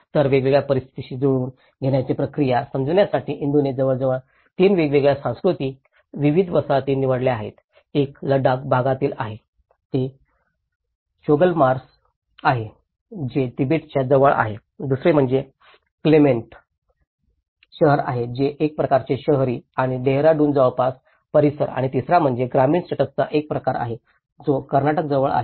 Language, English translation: Marathi, So, in order to understand different adaptation process Indu have selected about 3 different culturally diverse settlements, one is in Ladakh area, it is a Choglamsar which is close to the Tibet, the second one is a Clement town which is in a kind of urban locality near Dehradun and the third one is a kind of rural setup which is a Bylakuppe where it is near Karnataka